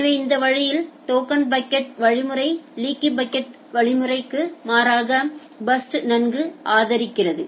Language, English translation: Tamil, So, that way this kind of token bucket algorithm in contrast to leaky bucket it is supporting burstiness well